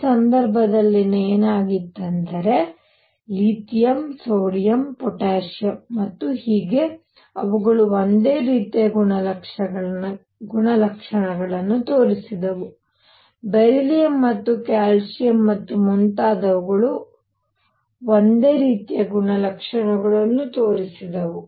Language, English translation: Kannada, And in this case what happened was Li lithium, sodium, potassium and so on they showed similar properties, beryllium Mg and calcium and so on, they showed similar properties